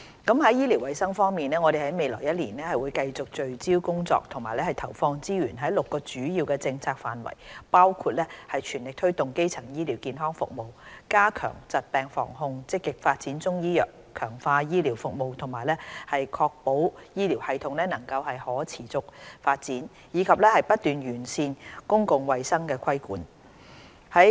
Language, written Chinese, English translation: Cantonese, 在醫療衞生方面，我們在未來1年會繼續在6個主要的政策範疇聚焦工作和投放資源，包括全力推動基層醫療健康服務；加強疾病防控；積極發展中醫藥；強化醫療服務；確保醫療系統能夠可持續發展；以及不斷完善公共衞生規管。, On medical services and health we will in the forthcoming year continue to focus on six major policy areas and allocate resources to them . These include sparing no efforts to promote primary health care services promoting disease preventioncontrol proactively developing Chinese medicine strengthening health care services ensuring the sustainable development of health care system and continuously enhancing the regulation of public health